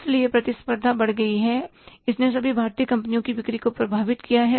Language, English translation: Hindi, So, the competition has gone up and it has affected the sales of all the Indian companies